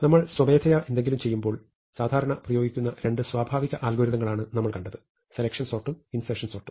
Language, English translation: Malayalam, So, what we have seen is that, the two natural algorithms that we would typically apply when we do something manually; selection sort and insertion sort are both order n square